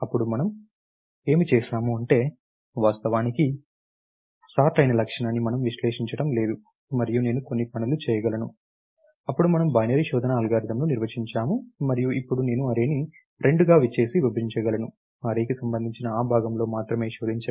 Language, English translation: Telugu, Then what we did was, we said now we do not, we are not exploited the property that is actually sorted and I can do certain things, then we define the binary search algorithm, and we saidůokay, Now I can divide the array into two and search only in that part where the array belongs to